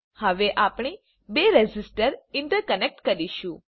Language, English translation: Gujarati, We will now interconnect two resistors